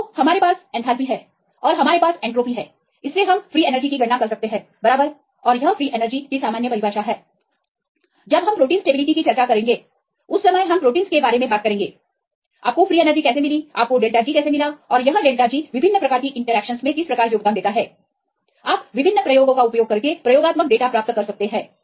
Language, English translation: Hindi, So, we have enthalpy and you have entropy you can calculate free energy right that is the general definition for the free energy, if we talk about the proteins when you discuss in terms of the stability in proteins how you obtain this free energy how to obtain this delta G and how this delta G is related with the contributions of different interactions, you can get the experimental data using different experiments